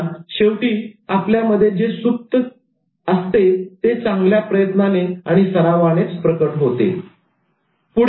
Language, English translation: Marathi, So what is latent in us can be manifested by good efforts and practice